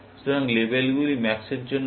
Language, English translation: Bengali, So, labels are for max and so on